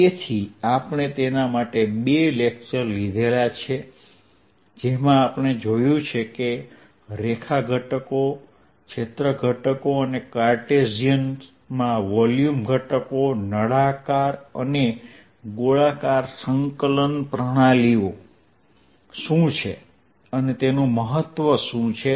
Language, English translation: Gujarati, so we have derived in the two lectures the line elements, area elements and volume elements in cartesian cylindrical and spherical coordinate systems